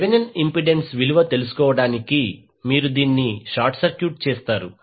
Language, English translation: Telugu, To find out the Thevenin impedance you will short circuit this